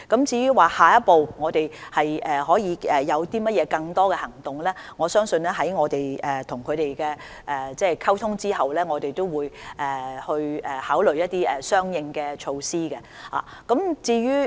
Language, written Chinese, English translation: Cantonese, 至於我們下一步會否採取更多行動，我相信在與業界溝通後，我們會考慮採取一些相應措施。, As regards whether more actions will be taken in the next step I believe we will consider adopting some corresponding measures after communicating with the trade